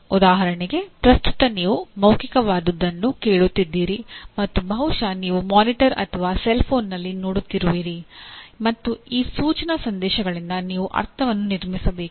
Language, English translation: Kannada, For example at present you are listening to something which is a verbal and possibly you are seeing on a monitor or a cellphone and you have to construct meaning from those instructional messages